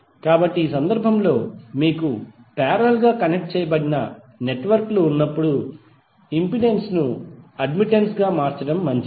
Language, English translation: Telugu, So in this case when you have parallel connected networks, it is better to convert impedance into admittance